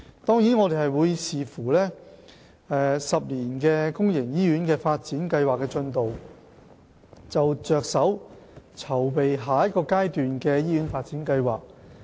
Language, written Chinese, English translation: Cantonese, 當然，我們會視乎"十年公營醫院發展計劃"的進度，才着手籌備下一個階段的醫院發展計劃。, Certainly we will review the progress of the 10 - year hospital development plan before preparing a hospital development plan for the next stage